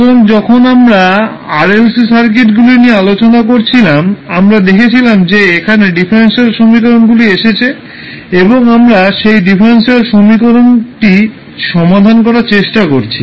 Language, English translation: Bengali, So when we were discussing the RLC circuits we saw that there were differential equations compiled and we were trying to solve those differential equation